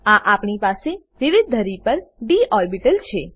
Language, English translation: Gujarati, Next, we have d orbitals in different axes